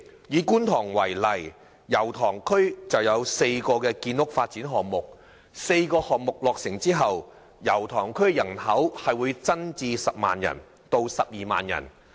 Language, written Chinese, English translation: Cantonese, 以觀塘為例，油塘區有4個建屋發展項目，待項目落成後，區內人口將增至10萬人至12萬人。, Take Kwun Tong as an example . Four housing development projects are underway in Yau Tong district . Upon completion of the projects the population in the district will increase to 100 000 to 120 000